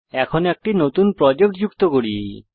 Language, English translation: Bengali, Now let us add a new project